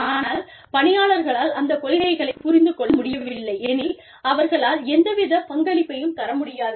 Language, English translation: Tamil, But, if the employees do not understand the policy, they will not be able to contribute